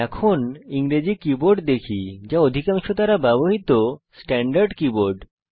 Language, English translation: Bengali, We now see the English keyboard which is the standard keyboard used most of us